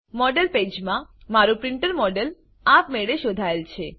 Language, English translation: Gujarati, In the Model page, my printer model is automatically detected